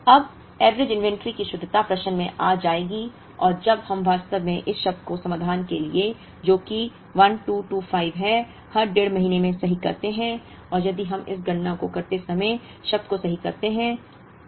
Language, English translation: Hindi, But, then the correctness of the average inventory will come into the question and when we actually correct this term, for the solution, which is 1225, every one and a half months and if we correct the term while doing this calculation